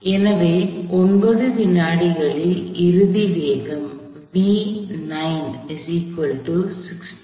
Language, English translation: Tamil, So the final velocity at 9 seconds is 16